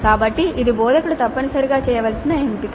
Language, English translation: Telugu, So this is a choice that the instructor must make